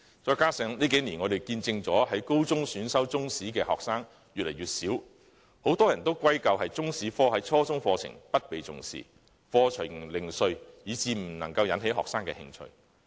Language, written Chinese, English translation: Cantonese, 再者，這幾年我們見證了在高中選修中史的學生越來越少，很多人把這情況歸咎於中史科在初中課程中不受重視，課程零碎，以致未能引起學生的興趣。, Furthermore over the past couple of years we have witnessed a decline in the number of senior secondary students selecting Chinese History . Many people have attributed this to the failure to arouse students interest due to the lack of attention paid to the Chinese History subject in the junior secondary curriculum and its fragmented curriculum